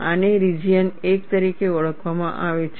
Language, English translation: Gujarati, This could be called as region 1